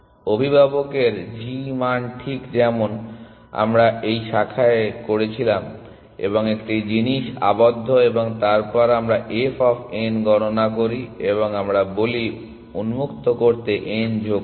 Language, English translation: Bengali, The g value of the parent exactly as we were doing in this branch and bound kind of a thing and then we compute f of n and we say add n to open